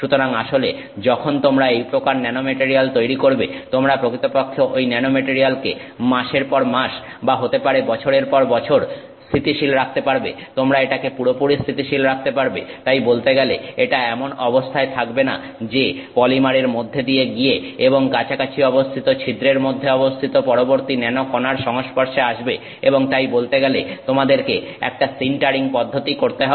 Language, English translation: Bengali, So, in fact when you create a nanomaterial like this, you can actually keep that nanomaterial stable for months, maybe even years, you can have it completely stable, it is not in a position to know go through the polymer and contact the next nanoparticle in the adjacent pore and then do a, you know, sintering process so to speak